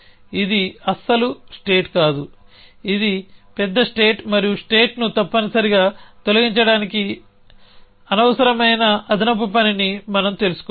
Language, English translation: Telugu, This is not state at all it is a poorer state and we have to know do unnecessary extra work to remove the states essentially